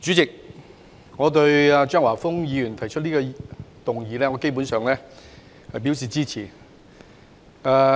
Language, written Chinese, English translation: Cantonese, 主席，對於張華峰議員提出的這項議案，我基本上表示支持。, President regarding this motion proposed by Mr Christopher CHEUNG I am basically in support of it